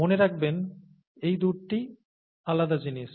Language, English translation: Bengali, Remember these two are different things